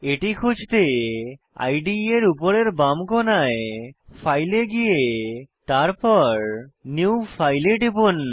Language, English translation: Bengali, To locate it, at the top left of the IDE, click on File, and then click on New File